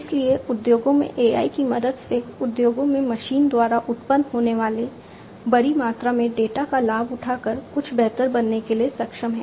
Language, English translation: Hindi, So, with the help of AI in industries, in the industries are capable of taking the advantage of large amount of data that is generated by the machines to do something better